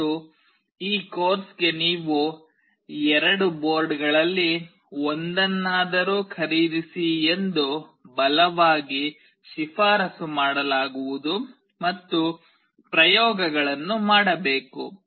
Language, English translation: Kannada, And what is strongly recommended for this course is you purchase at least one of the two boards and perform the experiments